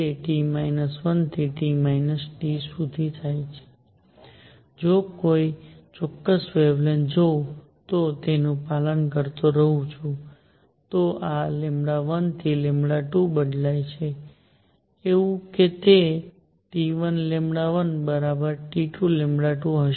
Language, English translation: Gujarati, It goes from T 1 to T 2, if I look at a particular wavelength and keep following it, this lambda changes from lambda 1 to lambda 2; it will be such that T 1 lambda 1 is equal to T 2 lambda 2